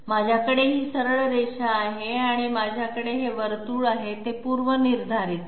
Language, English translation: Marathi, I have this straight line and I have this circle, they are predefined